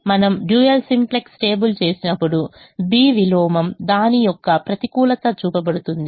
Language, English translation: Telugu, when we do a dual simplex table, the b inverse the negative of it, will be shown